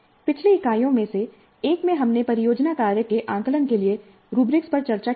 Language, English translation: Hindi, In one of the earlier units we discussed rubrics for assessing the project work